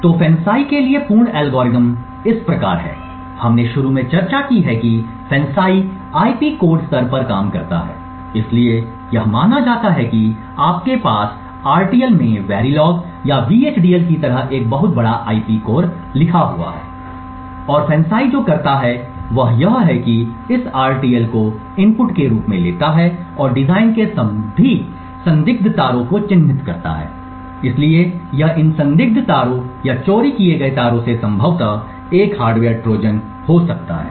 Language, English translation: Hindi, so as we have discussed initially FANCI works at the IP code level, so it is assumed that you have a very large IP core written in RTL like the Verilog or VHDL and what FANCI does is that it takes this RTL as input and flags all the suspicious wires in the design, so it is these suspicious wires or the stealthy wires which could potentially have a hardware Trojan